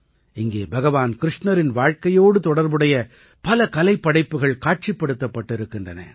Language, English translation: Tamil, Here, many an artwork related to the life of Bhagwan Shrikrishna has been exhibited